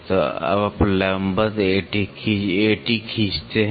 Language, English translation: Hindi, So, now, you draw perpendicular A T